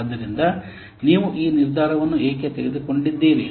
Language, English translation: Kannada, So, why you have taken this decision